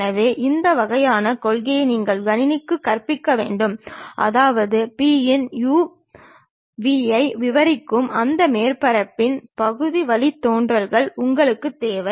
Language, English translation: Tamil, So, this kind of principle you have to teach it to computer; that means, you require the partial derivatives of that surface which we are describing P of u comma v